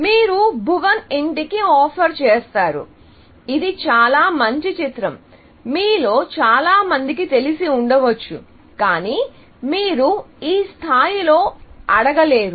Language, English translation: Telugu, Let us say, you offer to Bhuvan’s Home, which is a very nice movie, as most of you might know, but and then, of course you cannot ask at this level, yes